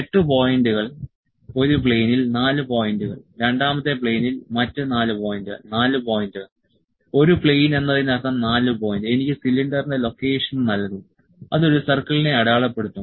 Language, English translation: Malayalam, 8 points, 4 points in one plane, 4 other points in the second plane, 4 point, one plane means 4 point will give me the location of the cylinder of the it will mark one circle